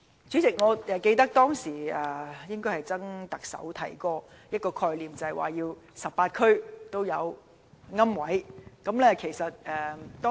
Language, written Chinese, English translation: Cantonese, 主席，我記得前特首曾蔭權曾經提出 ，18 區都要有龕位供應。, President I can recall that Donald TSANG the former Chief Executive once said that niches should be provided in each of the 18 districts